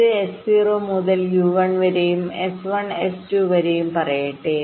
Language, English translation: Malayalam, let say this: one from s zero to u one, then s one s two